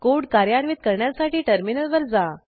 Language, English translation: Marathi, Lets execute the code.Go to the terminal